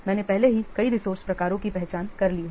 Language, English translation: Hindi, I have already identified several what resource types